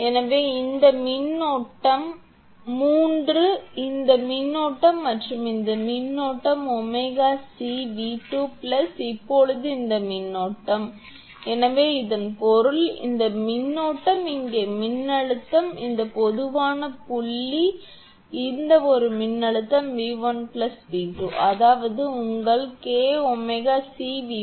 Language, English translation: Tamil, So, this current this current is omega C V 3 is equal to this current plus this current this current is omega C V 2 plus now this current, so this that means, this current is this voltage here means this common point this one this voltage is V 1 plus V 2 that means, plus your K omega C V 1 plus V 2